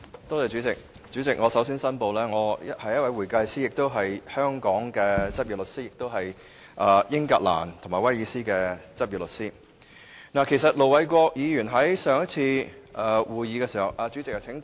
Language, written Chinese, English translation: Cantonese, 代理主席，我首先申報我是一名會計師，亦是香港的執業律師，以及英格蘭及威爾斯的執業律師。盧偉國議員在上次會議時......, Deputy President first of all I would like to declare that I am an accountant and a practising solicitor in Hong Kong as well as a practising solicitor in England and Wales